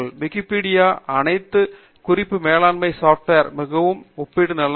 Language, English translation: Tamil, There is also a very nice comparison of all the reference management softwares on wikipedia